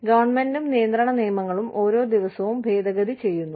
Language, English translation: Malayalam, Government and regulation laws, are being amended, every day